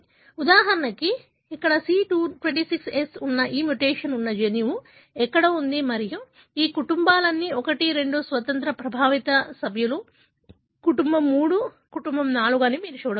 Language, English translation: Telugu, For example, here is somewhere the gene having this mutation that is C26S and you can see that all these families, 1, 2 independent, , affected members, family 3, family 4